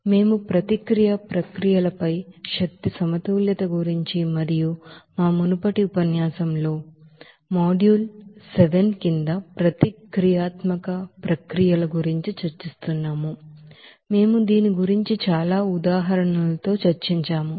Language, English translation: Telugu, So we are discussing about energy balances on reactive processes and also nonreactive processes in our earlier lectures and under the module seven, we have discussed about this with ample of examples